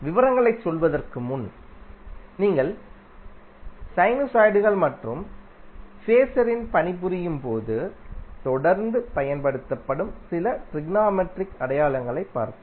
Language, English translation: Tamil, So, before going into the details, let's see a few of the technometric identities which you will keep on using while you work on sinosides as well as phaser